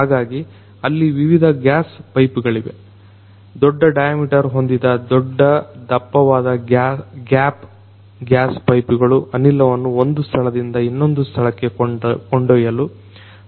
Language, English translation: Kannada, So, there are different gas pipes; big big big thick gap gas pipes of large diameters that can help in carrying the gas from one point to another